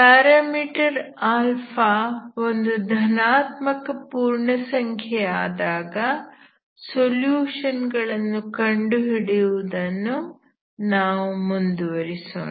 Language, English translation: Kannada, So we will continue to look at the solutions when the parameter alpha is a positive integer, okay